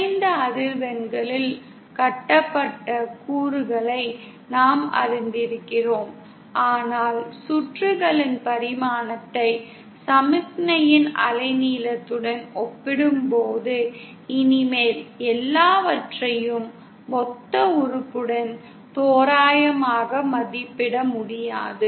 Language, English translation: Tamil, We have been familiarised with lumped elements at low frequencies where the wavelength is much larger as compared to the dimensions of the circuit but when the dimension of the circuit is comparable to the wavelength of the signal, we can no longer approximate everything with lumped element